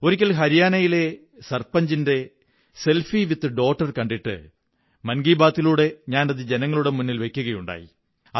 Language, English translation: Malayalam, Once, I saw a selfie of a sarpanch with a daughter and referred to the same in Mann Ki Baat